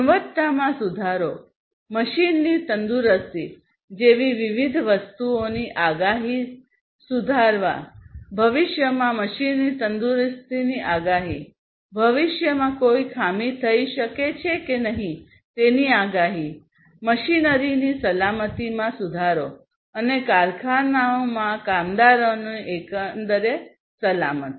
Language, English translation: Gujarati, Improving the quality, improving the predictive predictability; predictability of different things like the health of the machine; in the future predicting the health of the machine, predicting whether a fault can happen in the future and so on, and improving the safety of the machinery and the safety, overall safety of the workers in the factories